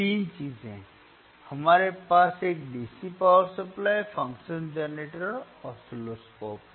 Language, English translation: Hindi, 3 things ,we have DC power supply, function generator, and oscilloscope